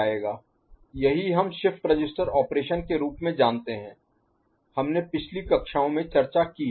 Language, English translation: Hindi, That is what we know as shift register operation, we have discussed in the previous classes, ok